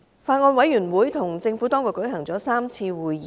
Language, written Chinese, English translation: Cantonese, 法案委員會與政府當局舉行了3次會議。, The Bills Committee held three meetings with the Administration